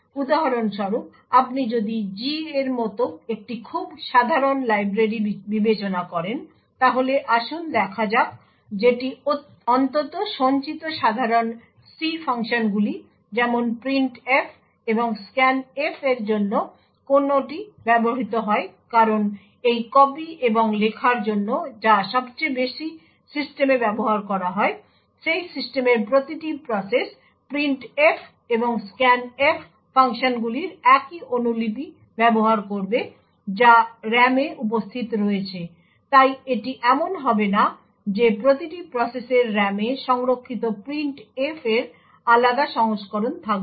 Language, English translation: Bengali, So for example, if you consider let us say a very common library like the G let us see which is used to at least stored common C functions such as printf and scanf because of this copy and write which is used the most systems, each and every process in that system would use the same copy of the printf and scanf functions which are present in RAM, so it would not do the case that each process would have a different version of the printf stored in RAM